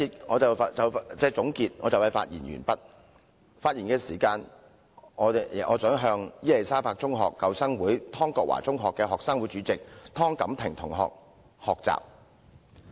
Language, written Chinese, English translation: Cantonese, 我在這一節的發言即將完結，現在我想向伊利沙伯中學舊生會湯國華中學的學生會主席湯錦婷同學學習。, As I am going to conclude my speech in this session I would like to talk about my role model TONG Kam - ting the chairperson of the student union of Queen Elizabeth School Old Students Association Tong Kwok Wah Secondary School